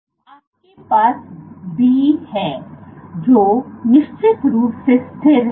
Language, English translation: Hindi, And you have B which is of course stable